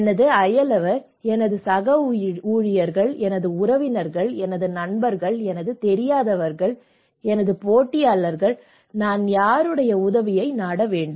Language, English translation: Tamil, My neighbour, my co workers, my relatives, my friends, those I do not know, my competitors, whom should I go